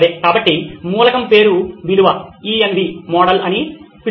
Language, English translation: Telugu, Okay, so are called the element name value ENV model as well